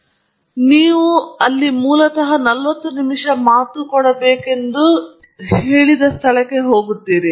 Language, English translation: Kannada, So, for example, you arrive at some place where originally, they told you that you are supposed to give a forty minute talk